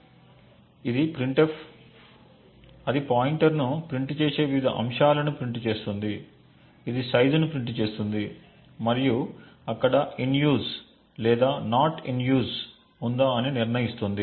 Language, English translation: Telugu, So, this is a printf which then prints the various aspects it prints a pointer, it prints the size and it determines whether there is it is in use or not in use